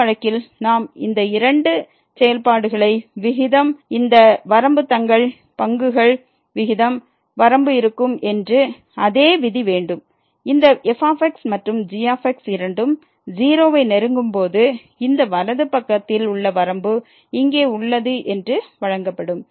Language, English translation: Tamil, And, in this case also we have the same rule that this limit of the ratio of these two functions will be the limit of the ratio of their derivatives; when this and goes to 0 provided this right that the limit at the right hand side here this exists